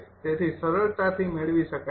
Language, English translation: Gujarati, so it will be directly